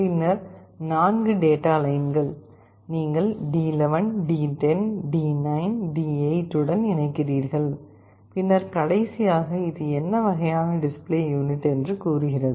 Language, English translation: Tamil, Then the 4 data lines, you are connecting to D11, D10, D9, D8 and then the last one says what kind of display unit is this